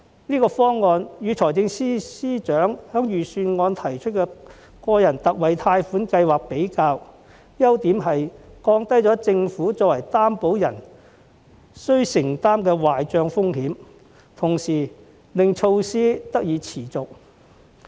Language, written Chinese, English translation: Cantonese, 這方案與財政司司長在預算案提出的個人特惠貸款計劃比較，其優點是降低了政府作為擔保人須承擔的壞帳風險，同時令措施得以持續。, Compared with the Loan Guarantee Scheme proposed by the Financial Secretary in the Budget this proposal has the advantage of reducing the risk of bad debt to be borne by the Government as the guarantor while making it feasible for the measure to be sustained